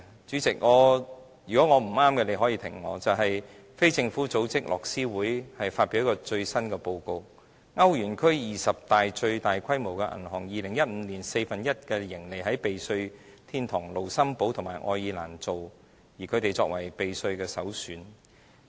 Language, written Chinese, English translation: Cantonese, 主席，如果我說得不對，你可以打斷我，便是非政府組織樂施會發表了最新的報告，歐元區二十大最大規模的銀行 ，2015 年有四分之一的盈利登記在避稅天堂盧森堡和愛爾蘭，兩地成為避稅首選。, President interrupt me if I am wrong . Oxfam a non - governmental organization has issued a report explaining the latest situation . Twenty biggest banks in the Eurozone registered one fourth of their profits in tax havens Luxembourg and Ireland in 2015